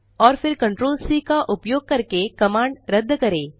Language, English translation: Hindi, and then cancel the command using Ctrl C